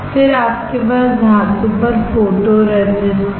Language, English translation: Hindi, Then you have the photoresist on the metal